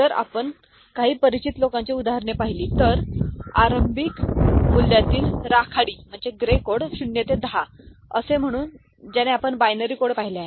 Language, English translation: Marathi, So, if we look at example of some such you know, gray code from the initial value say, 0 to 10, the way we had seen for binary code